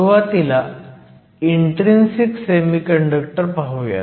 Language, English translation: Marathi, Let us start first with intrinsic semiconductors